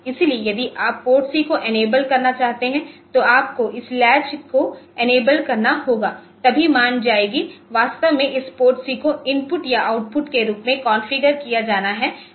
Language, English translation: Hindi, So, you if you want to enable PORTC so, you have to enable this latch then only the values will be going to are actually this PORTC has to be configured as either input or output